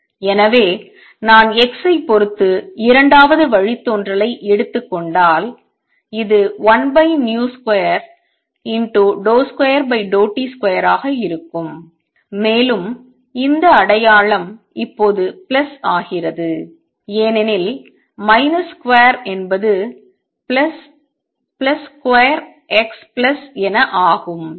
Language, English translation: Tamil, So, if I take the second derivative with respect to x this is going to be 1 over v square second derivative with the respect to time and this sign becomes plus now because minus square is plus plus square x plus